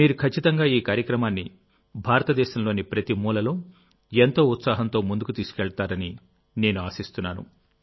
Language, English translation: Telugu, I hope you will promote this programme in every corner of India with wholehearted enthusiasm